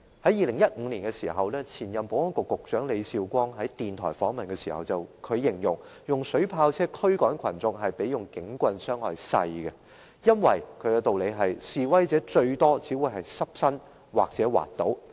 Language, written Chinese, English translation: Cantonese, 在2015年，前任保安局局長李少光在電台訪問時，形容使用水炮車驅趕群眾較警棍造成的傷害少，因為示威者最多只是濕身或滑倒。, During a radio interview in 2015 Ambrose LEE the former Secretary for Security described that physical harm caused by water cannon vehicles would be less than that of batons in the course of dispersing protesters because at the most water cannon vehicles would wet the clothes of protesters or cause them to slip